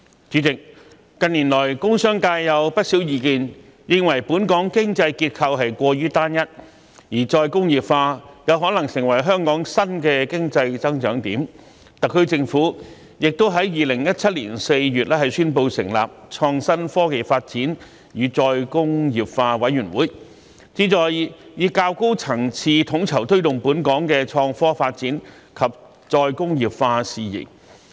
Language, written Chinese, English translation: Cantonese, 主席，近年來，工商界有不少意見認為，本港經濟結構過於單一，而再工業化有可能成為香港新的經濟增長點，特區政府亦在2017年4月宣布成立創新、科技及再工業化委員會，旨在以較高層次統籌推動本港的創科發展及再工業化事宜。, President there have been views from the industrial and commercial sectors in recent years that the economic structure of Hong Kong is too unitary . Re - industrialization can be the new points of economic growth for Hong Kong . The Government announced the establishment of the Committee on Innovation Technology and Re - industrialisation in April 2017 with a view to coordinating and promoting innovation and technology development and re - industrialization at a higher level